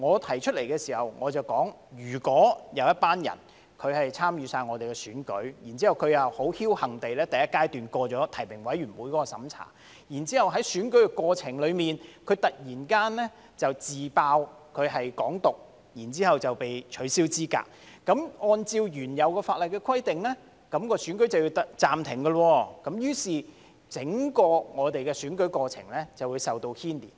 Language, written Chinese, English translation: Cantonese, 當時我提到，如果有一群人參與選舉，而他又僥幸地在第一階段通過提名委員的審查，然後在選舉過程中，他突然"自爆"是"港獨"，繼而被取消資格，按照原有法例的規定，選舉便要暫停，於是整個選舉過程便會受到牽連。, At that time I said that if a group of people participated in the election and someone who was lucky enough to pass the eligibility review at the first stage suddenly revealed in the course of election that he supported Hong Kong independence and was disqualified the election had to be terminated and the election procedure as a whole would be affected